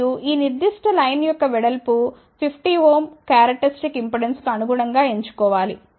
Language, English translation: Telugu, And, the width of this particular line must be chosen corresponding to 50 ohm characteristic impedance